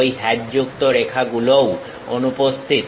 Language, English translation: Bengali, Those hatched lines are also missing